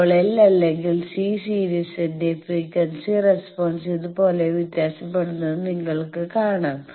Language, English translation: Malayalam, Now, frequency response of a series L or C you can see that that varies like this is the frequency response